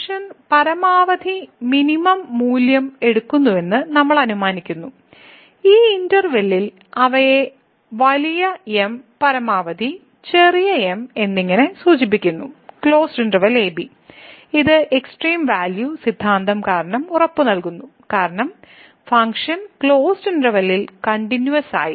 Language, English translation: Malayalam, So, here we assume that the function takes the maximum and the minimum value and they are denoted by big as maximum and small as minimum in this interval , which is guaranteed due to the extreme value theorem because the function is continuous in the closed interval